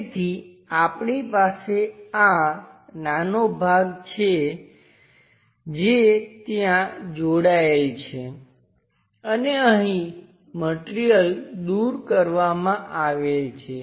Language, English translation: Gujarati, So, we have this small portion which is attached there and this one material has been removed